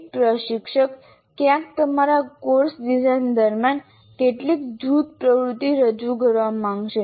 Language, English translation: Gujarati, For example, somewhere during your course design, you would want to introduce some group activity